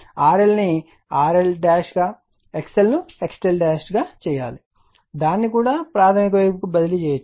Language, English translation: Telugu, R L also you can make R L dash X L will be X L dash that also can be transferred to the primary side, right